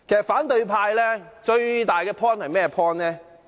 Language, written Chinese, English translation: Cantonese, 反對派最大的理據是甚麼？, In fact what is the main argument put forward by opposition Members?